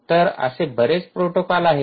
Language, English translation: Marathi, already there are so many protocols that are there